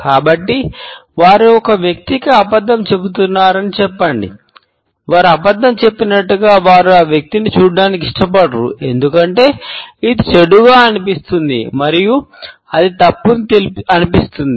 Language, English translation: Telugu, So, say they are lying to a person, they do not want to look at that person as they are lying to them, because it feels bad and it feels gross and it feels wrong